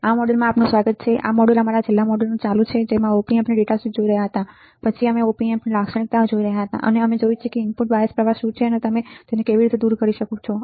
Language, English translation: Gujarati, Welcome to this module this module is a continuation of our last module in which you were looking at the Op Amp data sheet and then we were looking at the characteristics of Op Amp and we have seen what is input bias current and how we can remove the effect of input bias current on the output